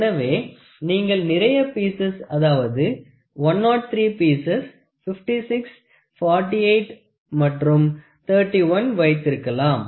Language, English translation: Tamil, So, you can have a more of like you can have 103 pieces, 56, 48 and 31